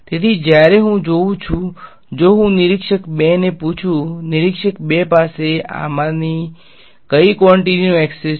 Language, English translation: Gujarati, So, when I look at if I ask observer 2 observer 2 has access to which of these quantities